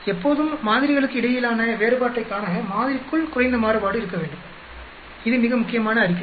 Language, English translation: Tamil, Always we should have less variation within sample to see a difference between samples, that is very important statement